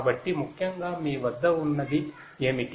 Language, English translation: Telugu, So, essentially what you have